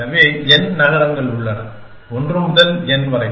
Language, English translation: Tamil, So, there is n cities, 1 to n